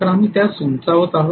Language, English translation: Marathi, So we are going to step it up